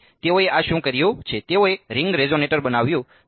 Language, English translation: Gujarati, So, what have they done this they made a ring resonator ok